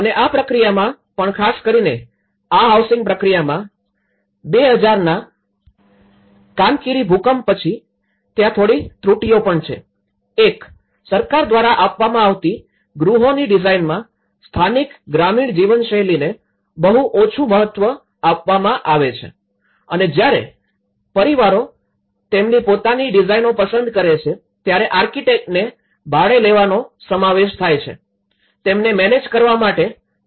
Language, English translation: Gujarati, And even in this process, there are so especially, in the housing process especially, in after the 2000 Cankiri earthquake, there are also some other shortcomings; one is the house designs offered by the government have very little regard to local rural living styles and while families can choose to use their own design, this entails hiring an architect which the owner must pay for in manage themselves